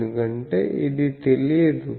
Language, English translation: Telugu, This part is known